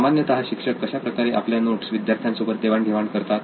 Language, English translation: Marathi, Now, what kind of a medium or how do teachers usually share these notes with students